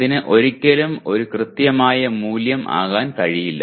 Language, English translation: Malayalam, It is never, it can never be an exact value